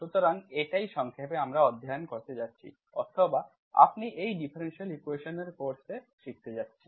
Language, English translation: Bengali, So this is what briefly what we are going to study or you going to learn in this course on differential equations